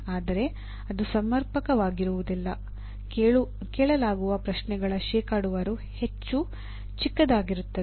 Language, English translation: Kannada, The percentage of questions that are asked will be much smaller